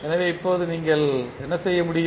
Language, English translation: Tamil, So, now what you can do